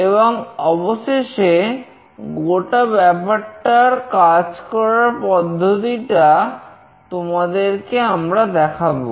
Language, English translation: Bengali, And finally, we will show you the whole demonstration